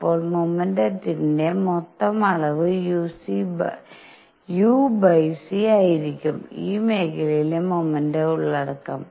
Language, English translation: Malayalam, Then net amount of momentum would be u over c is the momentum content in this area